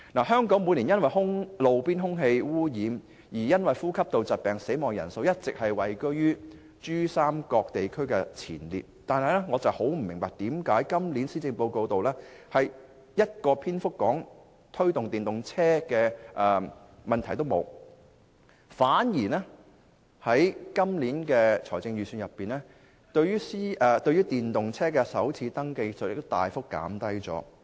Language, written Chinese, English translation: Cantonese, 香港每年因路邊空氣污染而死亡的人數，一直位居於珠三角地區前列，但我不明白為何今年施政報告毫無篇幅提到推動電動車，反而在 2017-2018 年度的財政預算案中，也有大幅減低電動車首次登記稅。, The number of deaths caused by roadside air pollution in Hong Kong each year has always topped other regions in the Pearl River Delta yet I have no idea why the Policy Address this year has not mentioned the promotion of electric vehicles at all . But then the Government announced a substantial first registration tax concession for electric vehicles in the 2017 - 2018 Budget